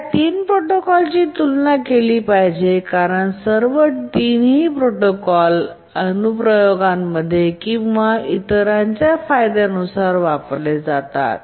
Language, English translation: Marathi, Now let's compare these three protocols that we looked at because all the three protocols are used in some application or other depending on their advantages